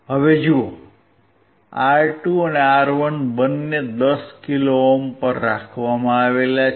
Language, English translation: Gujarati, So, right now see R2 and R1 both are kept at 10 kilo ohm